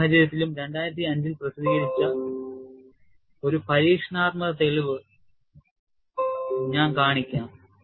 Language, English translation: Malayalam, For this case also, I will show an experimental evidence, which was published in 2005